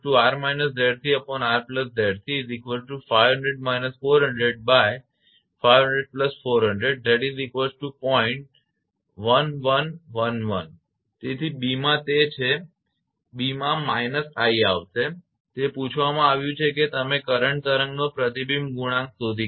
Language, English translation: Gujarati, 1111, right and therefore, in b it is it will be minus i in b it has been asked that you find out reflection coefficient of the current wave